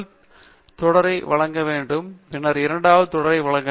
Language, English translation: Tamil, I have to supply the first series, and then, supply the second series